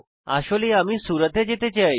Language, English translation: Bengali, So actually i want to go to Surat